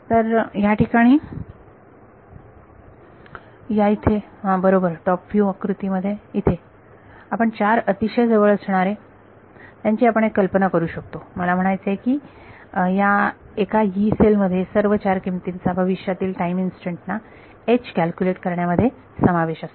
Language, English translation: Marathi, So, these in this right top view diagram over here these are sort of we can imagine four nearest I mean in one Yee cell all the four values are involved in calculating H at a future time instance right